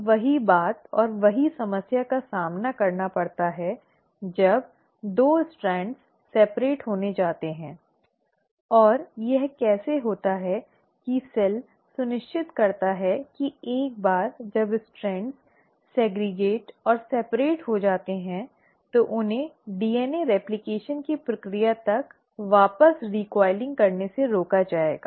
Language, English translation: Hindi, Now the same thing, and same problem one encounters when there is going to be the separation of the 2 strands and how is it that the cell makes sure that once the strands have segregated and separated, they are prevented from recoiling back till the process of DNA replication is over